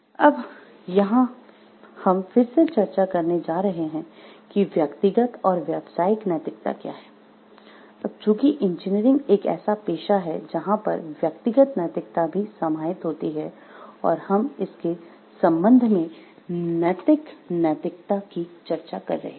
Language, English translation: Hindi, So, here we are going to discuss again what is personal and professional ethics because engineering is a profession, and we are discussing about ethical ethics with respect to it and there is personal ethics also